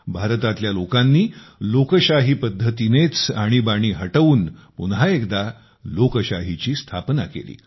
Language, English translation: Marathi, The people of India got rid of the emergency and reestablished democracy in a democratic way